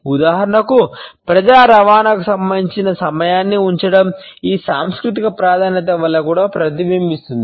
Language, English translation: Telugu, For example, keeping the time as far as the public transport is concerned is reflected because of this cultural preference also